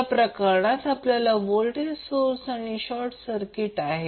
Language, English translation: Marathi, So in this case we are having the voltage source